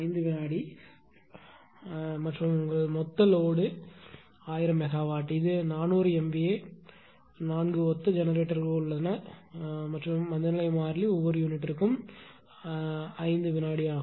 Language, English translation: Tamil, 0 second and your this total load is this 1000 megawatt; this is 400 MVA 4 identical generator and your ah inertia constant is 5 second on 400 MVA base for each unit